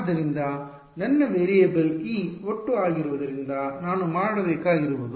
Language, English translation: Kannada, So, all I have to do is since my variable is E total